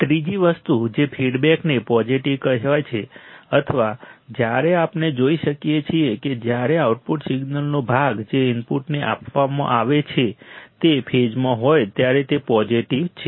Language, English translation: Gujarati, Third thing the feedback the feedback is said to be positive or when we can see it is a positive when the part of the output signal that is fed back to the input is in phase in phase